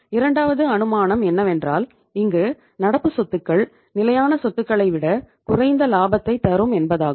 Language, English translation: Tamil, Second assumption we are going to take here is current assets are less profitable than the fixed assets